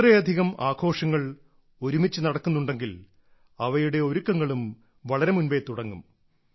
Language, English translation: Malayalam, When so many festivals happen together then their preparations also start long before